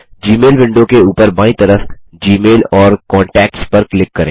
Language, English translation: Hindi, From the top left of the Gmail window, click on GMail and Contacts